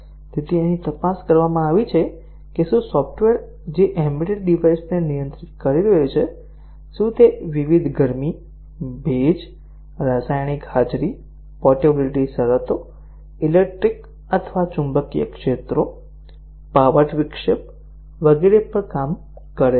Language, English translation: Gujarati, So, here it is checked whether the software which is may be controlling an embedded device, does it work on the different heat, humidity, chemical presence, portability conditions, electric, magnetic fields, disruption of power, etcetera